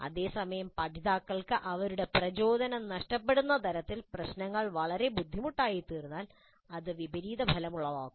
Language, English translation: Malayalam, At the same time if the problems become so difficult that learners lose their motivation then it will become counterproductive